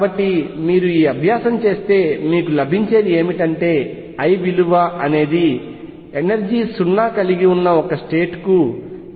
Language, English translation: Telugu, So, if you do this exercise what you will conclude is that the energy for a state with l equal to 0 is minus 13